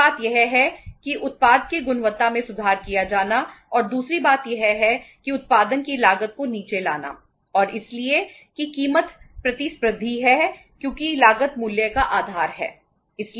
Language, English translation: Hindi, One thing is the quality of the product had to be improved and second thing is that the cost of production has to go down and so that the price is competitive because cost is the basis of price